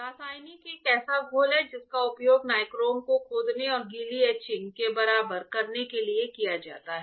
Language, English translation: Hindi, Chemical is a solution that is used to etch the nichrome and equal the wet etching